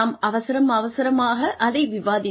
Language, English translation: Tamil, We discussed very hurriedly